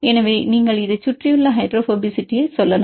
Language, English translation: Tamil, How to get this surrounding hydrophobicity